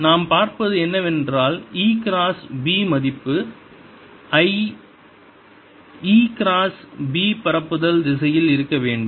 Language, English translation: Tamil, then e cross b is has the same direction as direction of propagation